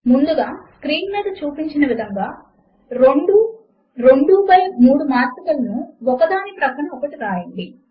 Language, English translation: Telugu, First let us write two example 2 by 3 matrices side by side as shown on the screen